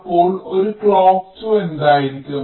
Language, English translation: Malayalam, so what will be a clock two